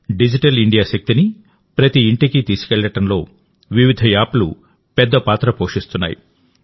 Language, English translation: Telugu, Different apps play a big role in taking the power of Digital India to every home